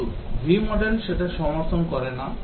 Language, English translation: Bengali, But V model does not support that